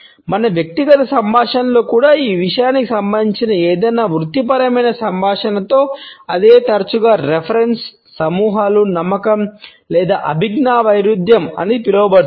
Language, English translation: Telugu, In any professional dialogue for that matter even in our personal dialogues, it often results in what is known as reference group beliefs or cognitive dissonance